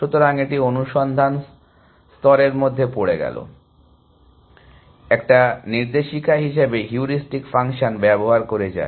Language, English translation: Bengali, So, it is diving into the search space, using the heuristic function as a guiding whose